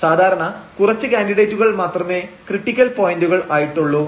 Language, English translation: Malayalam, So, usually there are a few candidates as to the critical points